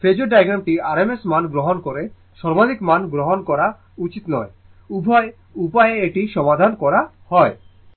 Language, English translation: Bengali, For phasor diagram you should take rms value not the maximum value both way it is solved